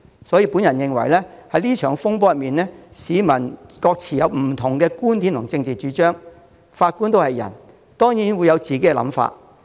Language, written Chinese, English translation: Cantonese, 對於這場風波，市民有不同的觀點和政治主張，而法官也是人，當然會有自己的想法。, Concerning this disturbance the public have different opinions and political stances and as judges are also human beings they will certainly have their own ideas